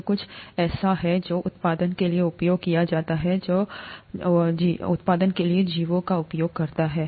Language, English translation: Hindi, It is something that is used for production that uses organisms for production